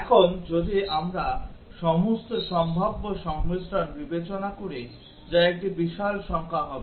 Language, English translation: Bengali, Now, if we consider all possible combinations that will be a huge number